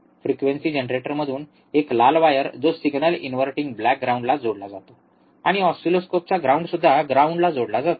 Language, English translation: Marathi, One red wire from the frequency generator, that is the signal to the inverting black to the ground from the output one signal to the oscilloscope ground connected to the ground